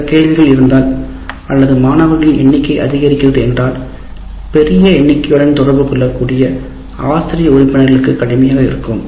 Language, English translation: Tamil, If there are some questions students are raising and if there are plenty then it will be difficult for faculty member to interact with large numbers